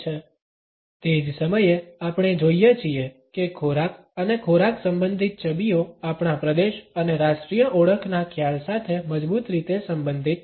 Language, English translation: Gujarati, At the same time we find that food and food related images are strongly related to our concept of territory and national identity